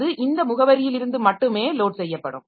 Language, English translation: Tamil, So, it is loaded from this address only